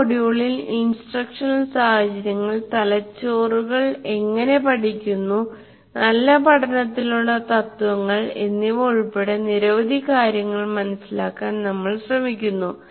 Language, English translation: Malayalam, So in this module we attempt to understand several aspects of instruction including instructional situations, how brains learn and the principles for good learning